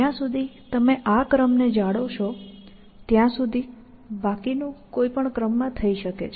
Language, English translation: Gujarati, So, as long as you satisfy this constraint of this order, then the rest can be done in any order